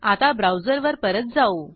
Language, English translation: Marathi, Now, switch back to the browser